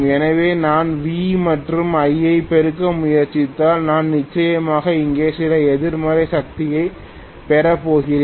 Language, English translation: Tamil, So, if I try to multiply V and I, I am definitely going to get some negative power here